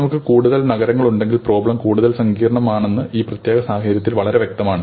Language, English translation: Malayalam, It is fairly obvious in this particular case that if we have more cities, the problem is more complicated